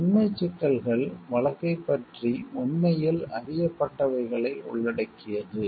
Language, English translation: Tamil, Factual issues involved what is actually known about the case